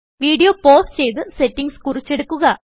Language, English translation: Malayalam, Pause this video and make a note of these settings